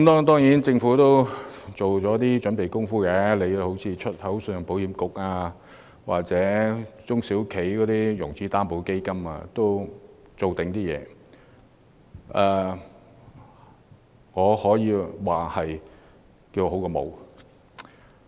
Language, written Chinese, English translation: Cantonese, 當然，政府也做了一些準備工夫，例如推出關乎香港出口信用保險局或中小企融資擔保計劃等措施，可說是聊勝於無。, Of course the Government has done some preparatory work such as introducing measures related to the Hong Kong Export Credit Insurance Corporation HKECIC or the SME Financing Guarantee Scheme . It can be said that they are just better than nothing